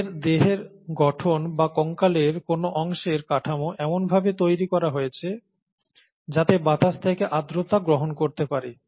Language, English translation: Bengali, Their body structure or their, the structure of a part of the skeleton is designed such that to, in such a way to capture the moisture from the air